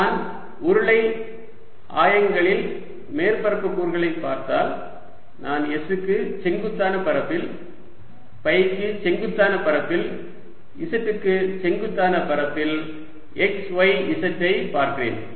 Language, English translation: Tamil, if i look at the area element in cylindrical coordinates, i am looking at x, y, z, at area perpendicular to s, area perpendicular to phi and area perpendicular to z